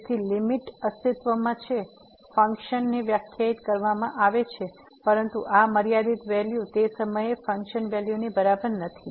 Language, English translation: Gujarati, So, the limit exists the function is defined, but this limiting value is not equal to the functional value at that point